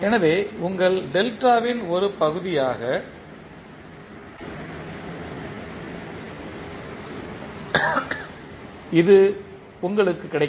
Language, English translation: Tamil, So, this is what you will get as part of your delta